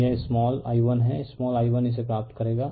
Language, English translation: Hindi, So, it is small i1 right small i1 you will get this